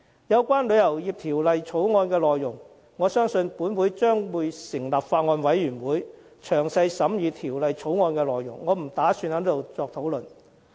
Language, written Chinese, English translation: Cantonese, 有關條例草案的內容，我相信本會將會成立法案委員會詳加審議，我不打算在此作出討論。, I believe this Council will set up a Bills Committee to scrutinize the Bill and so I do not intend to discuss it here